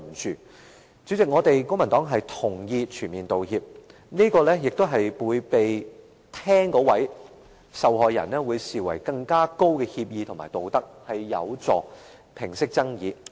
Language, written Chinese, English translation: Cantonese, 代理主席，公民黨同意"全面道歉"，會被聆聽者視為更高的協議和更合乎道德，有助平息爭議。, Deputy President the Civic Party agrees that a full apology will be regarded by the listener as a higher agreement made on higher moral ground and hence is conducive to resolving disputes